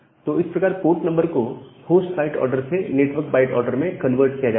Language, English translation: Hindi, So that is the idea of converting the port number from the host byte order to the network byte order